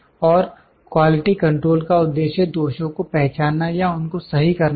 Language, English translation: Hindi, And quality control aims to identify or correct the defects